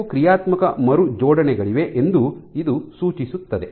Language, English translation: Kannada, Suggesting that there are some dynamic rearrangements which happen